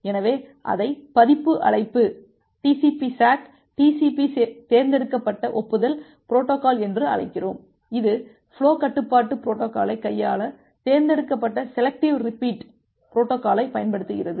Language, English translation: Tamil, So, we call it version call TCP SACK, TCP selective acknowledgement protocol with which uses this selective repeat protocol to handle the flow control mechanism